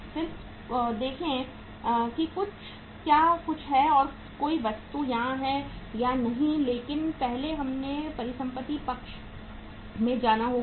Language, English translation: Hindi, Then see if there is anything uh is any other item is there or not but first let us move to the asset side